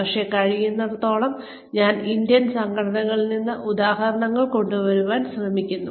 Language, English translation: Malayalam, But, as far as possible, I try and bring up examples, from Indian organizations